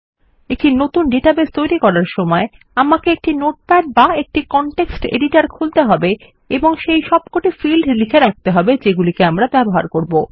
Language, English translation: Bengali, When I create a new database, I open up a notepad or a context editor and note down all the fields that Ill use